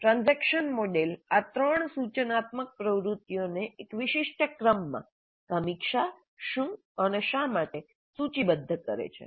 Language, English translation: Gujarati, The transaction model lists these three instructional activities in one specific order, review what and why